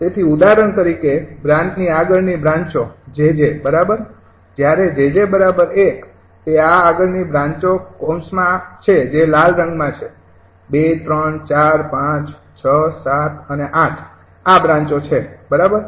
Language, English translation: Gujarati, so, for example, branches beyond branch jj: right, when branch jj is equal to one, branch jj is equal to these are the branches beyond, in the bracket that is in red color: two, three, four, five, six, seven and eight, right, these are the branches